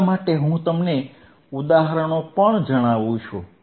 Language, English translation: Gujarati, That is why, I also tell you the examples